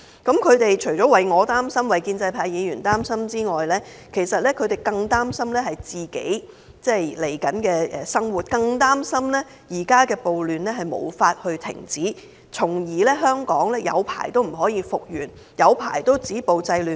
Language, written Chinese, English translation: Cantonese, 他們除了擔心我、擔心建制派議員，其實他們更擔憂自己未來的生活，更擔憂現時的暴亂無法停止，香港很久也不能復原，政府很久也不能止暴制亂。, They are worried about me and other pro - establishment Members . More importantly they are worried about their future life; they are worried that the ongoing riots cannot be stopped that Hong Kong cannot be recovered after a long time and that the Government is unable to stop violence and curb disorder